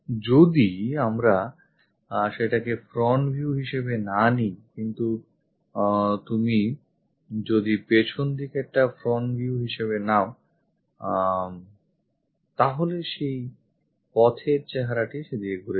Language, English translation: Bengali, If we are not picking that one as the front view, but if you are picking this back side one as the front view, the way figure will turns out to be in this way